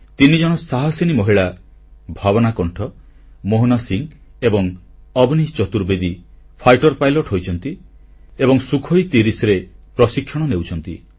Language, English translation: Odia, Three braveheart women Bhavna Kanth, Mohana Singh and Avani Chaturvedi have become fighter pilots and are undergoing training on the Sukhoi 30